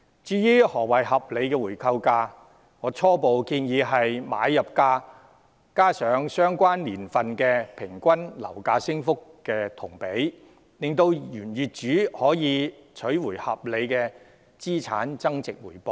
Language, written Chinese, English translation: Cantonese, 至於何謂合理的回購價，我初步建議為買入價加上等同相關年份平均樓價升幅的金額，讓原業主可取回合理的資產增值回報。, As for what qualifies as a reasonable buyback rate I initially propose a sum equivalent to the average appreciation of house prices over the relevant period on top of the purchase price which would allow an original owner to make a reasonable return in asset appreciation